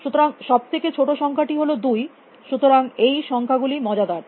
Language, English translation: Bengali, So, the smallest number is 2, so those numbers are interesting